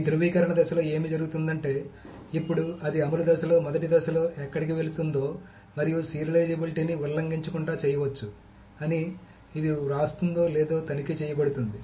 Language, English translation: Telugu, What happens in this validation phase is that now it is actually been checked whether these rights that were going through in the first phase in the execution phase and read phase can be done without violating the serializability